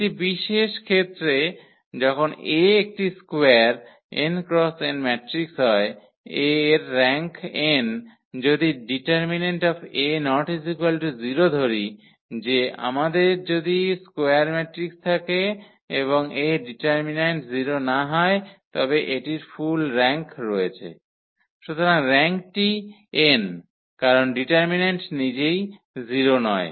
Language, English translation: Bengali, In a particular case when A is a square n cross n matrix it has the rank n, if the determinant A is not equal to 0 say if we have a square matrix and its determinant is not equal to 0 then it has a full rank, so the rank is n because determinant itself is not 0